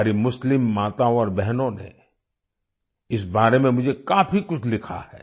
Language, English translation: Hindi, Our Muslim mothers and sisters have written a lot to me about this